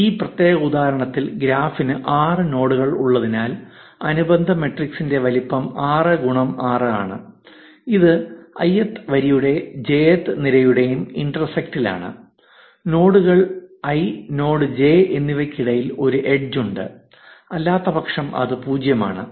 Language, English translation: Malayalam, In this particular example, since the graph has 6 nodes, the size of the corresponding adjacency matrix is 6 x 6, this is at intersection of ith row and jth column is 1, if an edge exist between nodes i and node j, otherwise 0